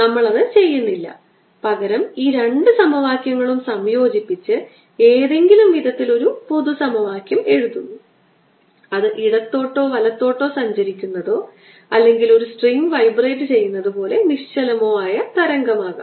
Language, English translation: Malayalam, instead, we combine this two equation, write a generally equation for any way which is travelling to the left or travelling to the right of the stationary wave not travelling at all, like a string vibrating